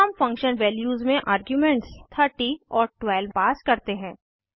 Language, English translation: Hindi, Then we pass arguments as 30 and 12 in function values